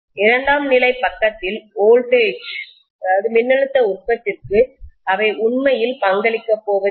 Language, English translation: Tamil, They are not going to really contribute towards the voltage production on the secondary side